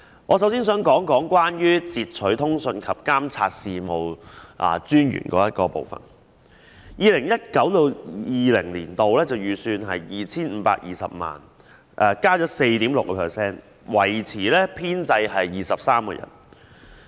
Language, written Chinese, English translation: Cantonese, 我首先想談談截取通訊及監察事務專員的總目，有關開支在 2019-2020 年度的預算為 2,520 萬元，增加 4.6%， 維持編制23人。, I would like to first discuss the head about the Secretariat of SCIOCS . The expenditure estimate for 2019 - 2020 is 25.2 million which represents an increase of 4.6 % and the size of establishment remains at 23 persons